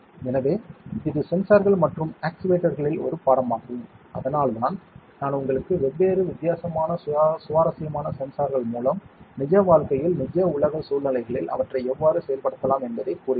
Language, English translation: Tamil, So, this is a course in sensors and actuators that is why I am making you through different, different interesting types of sensors and how they can be actuated in the real life real world situations